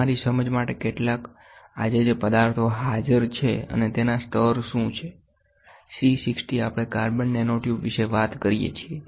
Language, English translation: Gujarati, Some of the just for your understanding some of the objects which are present today and what are their levels so, C60 what we talk about carbon nanotubes